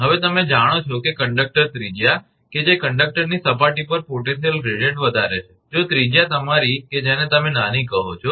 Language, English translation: Gujarati, Now, you know that conductor radius that potential gradient at the surface of the conductor is high if radius is your what you call small